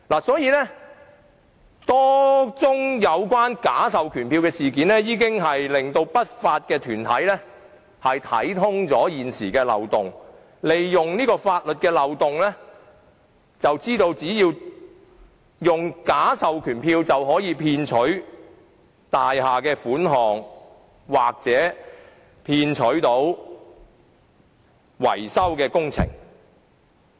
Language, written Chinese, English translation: Cantonese, 所以，多宗有關假授權書的事件已令不法團體洞悉現時的法律漏洞，並利用這個漏洞，以假授權書騙取大廈業主的款項或投得維修工程。, As a result a number of cases involving falsified proxy forms have already helped unlawful groups identify the loopholes of the existing legislation which they in turn exploit to defraud building owners of money or win the tender for maintenance works by deception